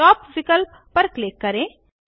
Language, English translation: Hindi, Click on the Top option